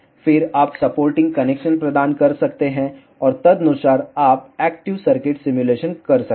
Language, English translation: Hindi, Then you can provide the supporting connections, and accordingly you can do the active circuit simulations